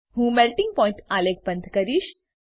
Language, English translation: Gujarati, I will close Melting point chart